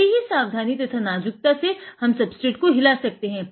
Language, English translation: Hindi, Very delicately, we have to move the substrate